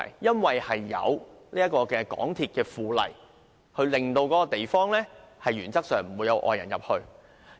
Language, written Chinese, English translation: Cantonese, 根據《香港鐵路附例》，石崗的範圍原則上沒有外界人士出入。, Under the Mass Transit Railway By - laws the SSS area is in principle off limits to all outsiders